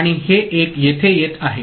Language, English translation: Marathi, And this 1 is coming over here